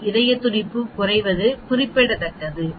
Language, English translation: Tamil, Is the decrease in heart rate significant